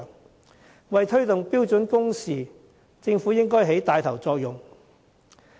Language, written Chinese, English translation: Cantonese, 政府應為推動標準工時，發揮帶頭作用。, The Government should take the lead in promoting the implementation of standard working hours